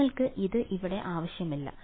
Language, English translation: Malayalam, You do not even need this over here